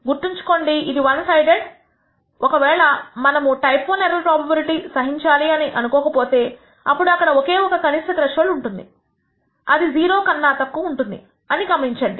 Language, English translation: Telugu, Remember this is one sided if we are willing to tolerate a type I error probability of 5 percent then there is only a lower threshold less than 0 notice